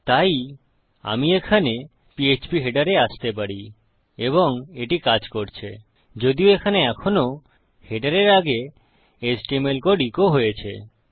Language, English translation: Bengali, So I can come here to phpheader and it works, even though I have still got my html code echoed here before my header